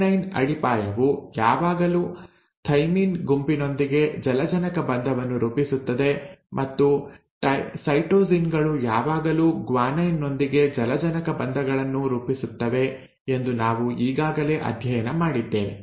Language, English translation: Kannada, Now what do you mean by complimentary, we have already studied that always the adenine base will form a hydrogen bond with the thymine group while the cytosines will always form hydrogen bonds with the guanine